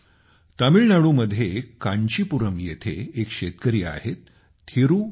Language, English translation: Marathi, In Tamil Nadu, there is a farmer in Kancheepuram, Thiru K